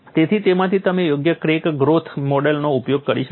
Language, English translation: Gujarati, So, from that you can use a suitable crack growth model